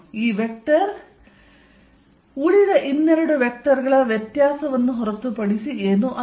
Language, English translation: Kannada, This vector is nothing but this vector minus this vector